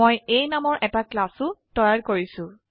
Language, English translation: Assamese, I also have a created a class named A